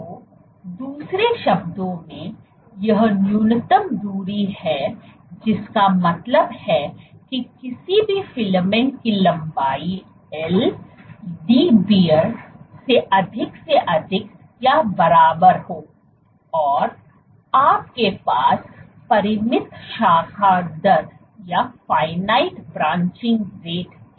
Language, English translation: Hindi, So, in other words this is the minimum distance which means that for any filament length L greater than Dbr or greater equal to Dbr, you have a finite probability of or you have a finite branching rate